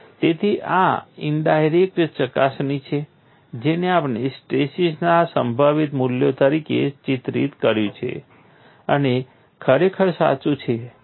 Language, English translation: Gujarati, So, this is the indirect verification that what we have pictured as the possible values of stresses is indeed correct